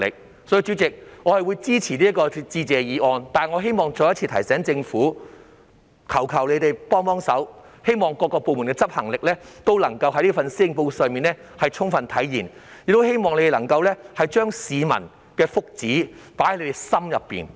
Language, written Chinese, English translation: Cantonese, 所以，代理主席，我會支持致謝議案，但我希望再一次提醒政府，求求他們幫忙，讓各部門的執行力皆能在這份施政報告上充分體現，我亦十分希望他們能夠將市民的福祉放進心裏。, What I am concerned about however is its execution . For this reason Deputy President I will support the Motion of Thanks but I would like to remind the Government again to offer a helping hand so that the executive ability of various departments can be fully manifested in this Policy Address . I also very much hope that they will have regard to the well - being of members of the public